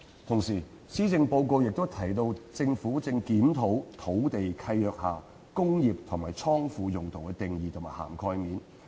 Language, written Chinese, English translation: Cantonese, 同時，施政報告亦提到政府正檢討土地契約下"工業"及"倉庫"用途的定義和涵蓋面。, At the same time the Policy Address also mentions that the Government is reviewing the definition and coverage of industrial and godown uses in land leases